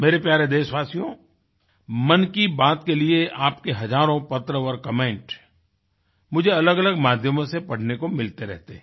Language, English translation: Hindi, My dear countrymen, for 'Mann Ki Baat', I keep getting thousands of letters and comments from your side, on various platforms